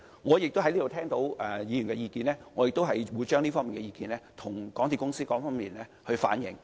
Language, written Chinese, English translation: Cantonese, 我在此聽取議員的意見後，亦會向港鐵公司反映。, And likewise the views that I have listened to at this Council will also be conveyed to MTRCL